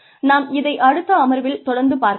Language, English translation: Tamil, We will take it from here, in the next session